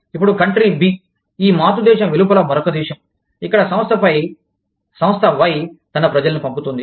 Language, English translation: Telugu, Now, Country B is another country, outside of this parent country, where Firm Y, sends its people to